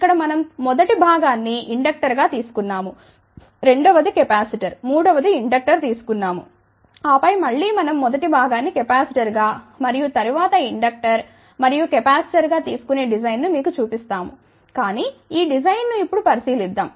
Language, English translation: Telugu, Here we have taken the first component as inductor, second capacitor, third inductor will also show you the design where we take first component as capacitor and then inductor and capacitor , but let just look into the this design now